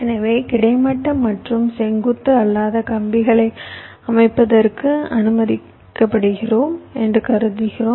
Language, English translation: Tamil, so we are assuming that we are allowed to layout the wires which are non horizontal and vertical, non vertical also